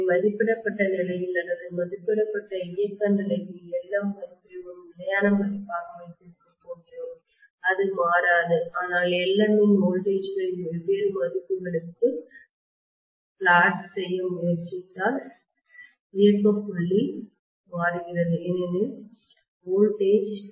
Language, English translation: Tamil, So at rated condition or rated operating condition, we are going to have Lm value as a fixed value it will not be changing, but if I try to plot Lm for different values of voltages clearly the operating point is changing because E is equal to 4